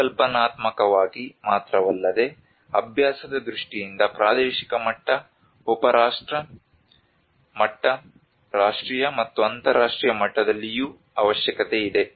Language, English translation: Kannada, Not only by conceptually but in terms of practice both regional level, sub national level, national, and international level